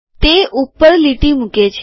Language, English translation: Gujarati, It puts a top line